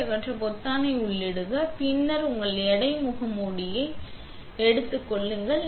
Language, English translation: Tamil, You hit enter the button to remove the vacuum and then you take your weight mask out